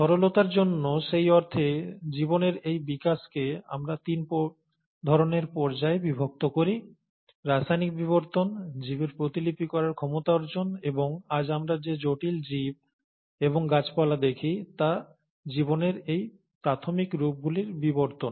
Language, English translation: Bengali, So, in that sense, for simplicity, we kind of divide this development of life into three phases, chemical evolution, acquisition of the replicative ability by life, and the evolution of these early forms of life into what we see today as complex organisms and complex plants